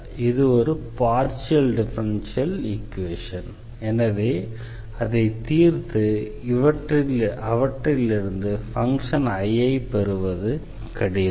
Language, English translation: Tamil, So, this is a partial differential equation which is not very easy to solve to get this I out of this equations